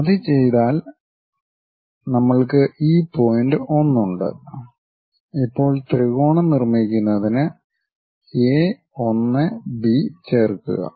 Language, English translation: Malayalam, Once done we have this point 1, now join A 1 B to construct the triangle